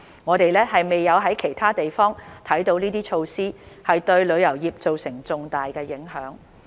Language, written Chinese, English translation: Cantonese, 我們未有在其他地方看到這些措施會對旅遊業做成重大影響。, We have not seen elsewhere that these measures will have a significant impact on the tourism industry